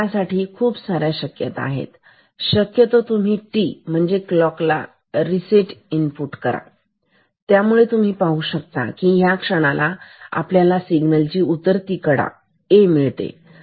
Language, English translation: Marathi, So, you can so, there are many possibilities, you can just possibility t clock reset input and you see so, this is a moment where we have a falling edge of the signal A